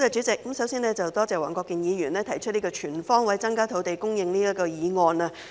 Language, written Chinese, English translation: Cantonese, 首先多謝黃國健議員提出"全方位增加土地供應"議案。, First I would like to thank Mr WONG Kwok - kin for moving the motion on Increasing land supply on all fronts